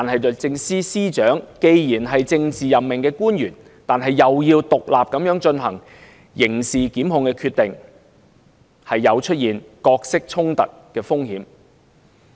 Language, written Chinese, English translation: Cantonese, 律政司司長既是政治任命官員，但同時要獨立地進行刑事檢控決定，有角色衝突的風險。, The Secretary for Justice is a political appointee who at the same time has to make criminal prosecutorial decisions independently and thus prone to role conflict